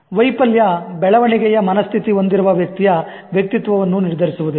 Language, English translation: Kannada, Failure will not determine the personality of a person with growth mindset